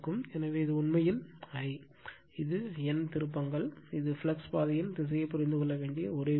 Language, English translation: Tamil, So, this is actually I, and this is N turns, and this is the only thing need to understand the direction of the flux path